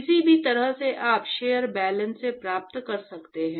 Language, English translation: Hindi, In any way you can get from shell balances